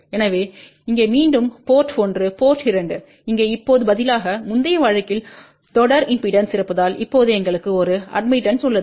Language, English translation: Tamil, So, we have here again as before port 1 here, port 2 here, now instead of having a series impedance in the previous case now we have a shunt admittance